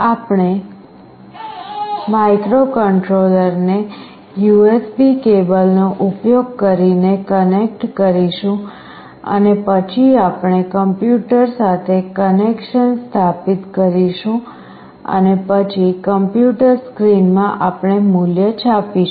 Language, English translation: Gujarati, We will be connecting the microcontroller using the USB cable and then we will be establishing a connection with the PC and then in the PC screen we will print the value